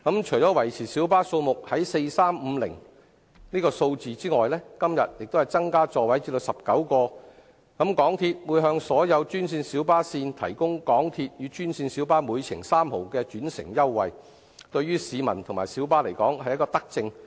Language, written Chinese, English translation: Cantonese, 除維持小巴數目在 4,350 輛及今天增加座位至19個外，港鐵會向所有專線小巴路線提供港鐵與專線小巴每程3角的轉乘優惠，對於市民及小巴而言是德政。, Apart from maintaining the number of light buses at 4 350 and the proposal today to increase the seating capacity to 19 another initiative is the provision by the MTR Corporation Limited of an interchange fare concession of 0.3 per trip to passengers interchanging between green minibuses and MTR